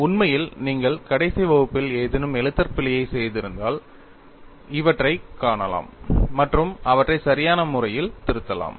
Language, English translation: Tamil, In fact, if you have done any clerical error in the last class, you could see these and edit them appropriately